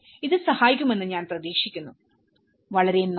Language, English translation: Malayalam, I hope, this helps thank you very much